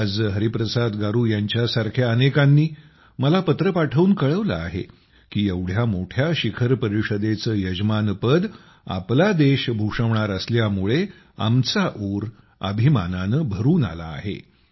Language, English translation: Marathi, Today, many people like Hariprasad Garu have sent letters to me saying that their hearts have swelled with pride at the country hosting such a big summit